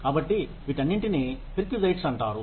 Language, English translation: Telugu, So, all of these are called perquisites